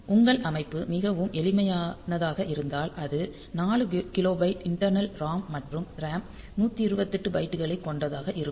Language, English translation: Tamil, So, if your system is very simple it may be that with 4 kilobyte of internal ROM and 128 bytes of RAM